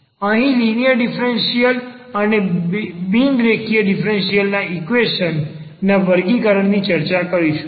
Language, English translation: Gujarati, The further classifications will be talking about like the linear and the non linear differential equations